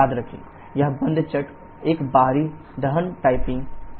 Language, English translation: Hindi, Remember this closed cycle is an external combustion typing